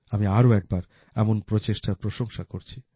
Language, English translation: Bengali, I once again commend such efforts